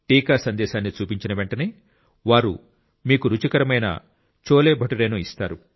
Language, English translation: Telugu, As soon as you show the vaccination message he will give you delicious CholeBhature